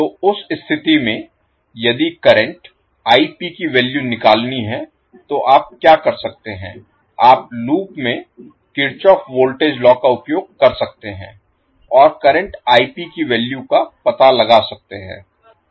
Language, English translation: Hindi, So in that case, if calculate the value of the current Ip, what you can do, you can simply use Kirchhoff Voltage Law in the loop and find out the value of current Ip